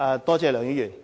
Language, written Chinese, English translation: Cantonese, 多謝梁議員的提問。, I thank Mr LEUNG for the question